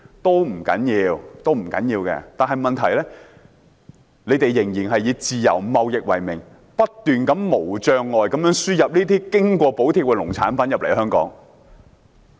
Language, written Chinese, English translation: Cantonese, 這本來是不要緊的，但問題是其他地方仍然以自由貿易為名，不斷無障礙地將這些經過補貼的農產品輸入香港。, It is basically fine but the problem is that some subsidized agricultural products are being imported incessantly into Hong Kong in a barrier - free manner from other places in the name of free trade